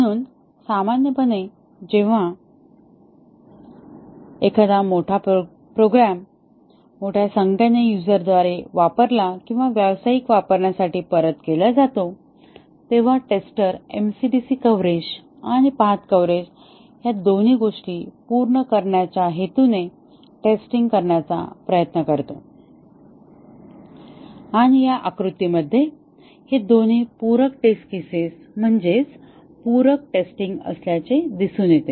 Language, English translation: Marathi, So, normally when a program for commercially uses or uses by a large number of users is returned, the tester tries to test with the objective of meeting both MCDC coverage and path coverage and edge can be seen in this figure that both these are complementary test cases, sorry complementary testing